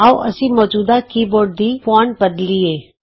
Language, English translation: Punjabi, Let us change the fonts in the existing keyboard